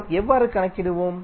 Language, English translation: Tamil, So, how we will calculate